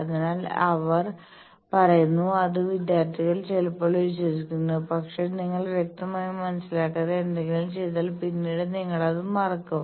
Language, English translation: Malayalam, So, they say and students sometimes believe, but later; obviously, if you just without understanding do something later you forget